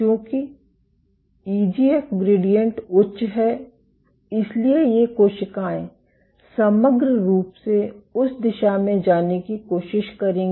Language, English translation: Hindi, Since EGF gradient is high these cells will overall try to go in that direction